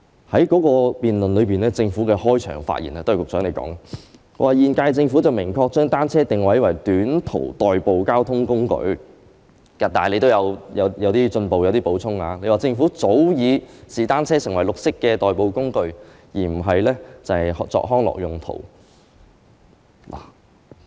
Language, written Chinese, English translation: Cantonese, 在該次辯論中，政府的開場發言——都是局長你發言的——指"現屆政府明確把單車定位為短途代步交通工具"，你亦有進一步作出少許補充，說"政府早已視單車為綠色代步工具，而非只用作康樂用途"。, As stated in the Governments opening remarks during the debate the remarks made by you too Secretary the incumbent Government has clearly positioned cycling as a short - distance transport mode . Then you also added a few words saying that bicycles have long since been regarded as a green mode of transport by the Government rather than for recreational purposes only